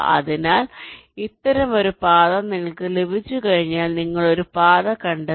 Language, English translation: Malayalam, so once you get a path like this, your found out a path